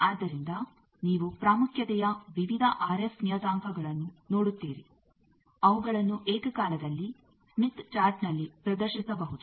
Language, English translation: Kannada, So, you see various RF parameters of importance they can be simultaneously displayed in the smith chart